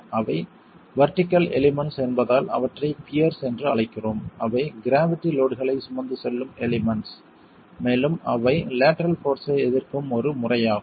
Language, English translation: Tamil, We call them peers because they are the vertical elements, they are the gravity load carrying elements and they are the ones who are going to be resisting the lateral force